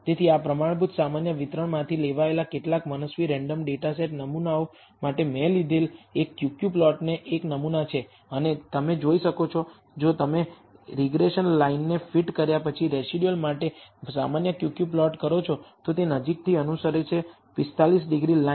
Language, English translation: Gujarati, So, this is a sample Q Q plot I have taken for some arbitrary random data set samples drawn from the standard normal distribution and you can see that if you do the normal Q Q plot for the residuals after fitting the regression line, it seems to closely follow the 45 degree line